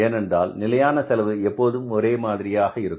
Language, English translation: Tamil, Because fixed cost remains the same